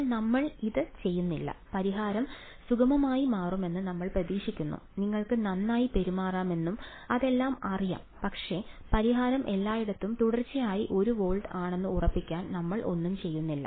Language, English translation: Malayalam, But we are doing nothing we are just hoping that the solution turns out to be smooth and you know well behaved and all of that, but we are not doing anything to ensure that the solution is continuously one volt everywhere right